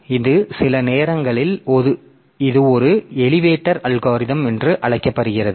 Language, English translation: Tamil, So, this is some sometimes it is called an elevator algorithm